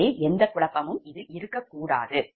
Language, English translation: Tamil, so only there should not be any confusion